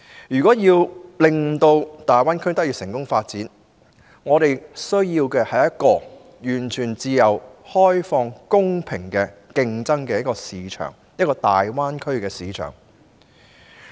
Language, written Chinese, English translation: Cantonese, 如要令香港在大灣區成功發展，便需要有一個完全自由開放、公平競爭的大灣區市場。, A fully liberalized market that offers a level playing field in the Greater Bay Area is a must for Hong Kong to achieve successful development there